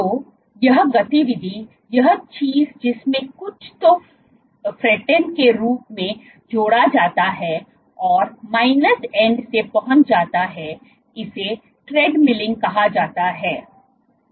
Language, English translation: Hindi, So, this activity this thing in which something is added as the frontend and gets reached from the minus end this is called treadmilling